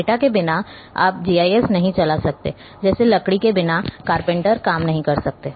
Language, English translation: Hindi, Without data your GIS cannot run like without wood carpenter cannot work